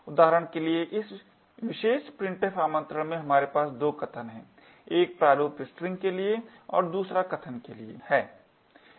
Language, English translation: Hindi, For example, in this particular printf invocation we have 2 arguments one for the format string and the other for the argument